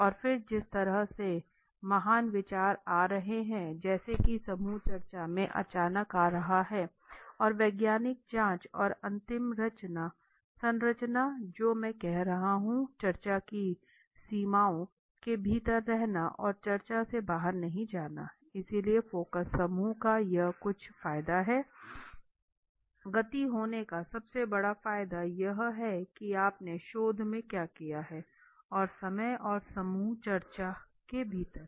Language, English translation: Hindi, And then like how great in the way in the how much of the great thing are the ideas are coming in to which as coming might be coming suddenly in the group discussion and the scientific scrutiny and the final structure which I am saying is you are within staying within the boundaries of the discussion and not going out of the discussion so this is the some of the advantage of the focus group okay speed being the biggest advantage of the you see what you have done in the research and the lot of the time and the within the group discussion